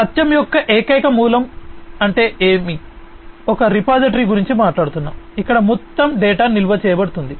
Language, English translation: Telugu, Single source of truth means we are talking about a single repository, where all the data are going to be stored